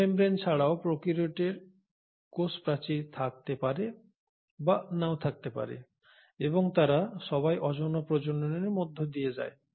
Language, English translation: Bengali, In addition to cell membrane the prokaryotes may or may not have a cell wall and they all undergo asexual mode of reproduction